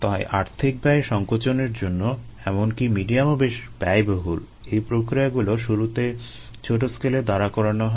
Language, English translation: Bengali, so to minimize cost involved even medium expensive the they are processes are developed first at small scale